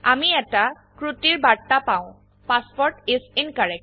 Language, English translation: Assamese, We get an error message which says that the password is incorrect